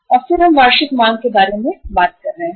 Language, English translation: Hindi, And then we are talking about annual demand